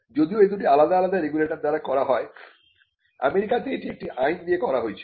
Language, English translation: Bengali, So, though it is done by different regulators, in the US it was done by a statute an Act